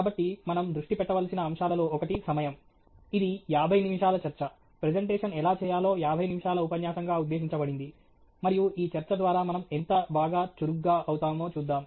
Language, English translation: Telugu, So, one of the aspects that we need to focus on is time; this is a fifty minute talk intended as a fifty minute single talk on how to make a presentation, and we will see how well we pace ourselves through this talk okay